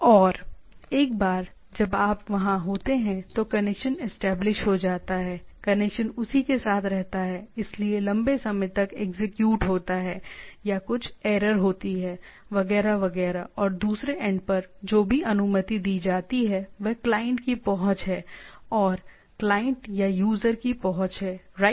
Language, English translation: Hindi, And once you there, the connection is established, the connection stays with that, so long the execution is there or there is some error etcetera and you can whatever the whatever the permission set provided at the other end is the accessibility of the client or the client or the user right